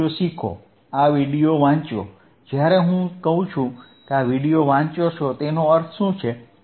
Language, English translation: Gujarati, lLearn this video, read this video, when I say read this video what does that mean,